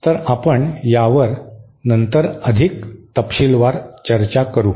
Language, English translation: Marathi, So, we will discuss this later on, all this in much detail